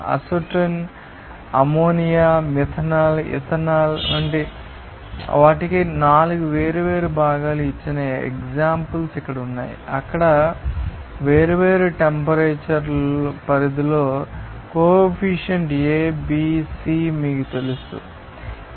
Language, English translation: Telugu, Here has some of the examples given 4 different components here for like acetone, ammonia, methanol, ethanol, even what are that you know coefficient A, B, C at different temperature range there